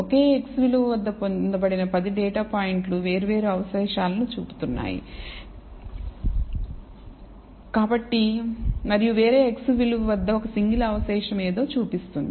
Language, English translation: Telugu, The 10 of the data points obtained at the same x value are showing different residuals and the one single residual at a different x value showing something